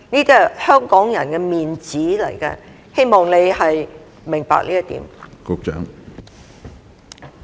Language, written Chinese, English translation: Cantonese, 這是香港人的"面子"，希望你明白這一點。, I hope you understand that this concerns the face of Hong Kong people